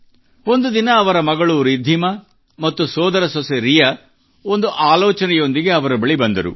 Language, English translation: Kannada, One day his daughter Riddhima and niece Riya came to him with an idea